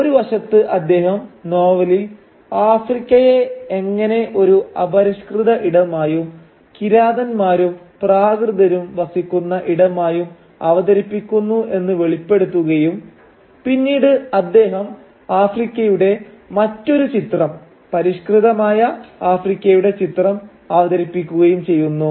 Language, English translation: Malayalam, So on the one hand he brings out how Africa is presented in Conrad’s novel as an uncivilised space, as a space inhabited by savages and barbarians and he then goes on to place, create another image of Africa, which is that of a civilised Africa